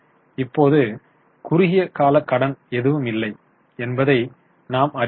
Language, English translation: Tamil, Right now you can see there is no short term borrowing as such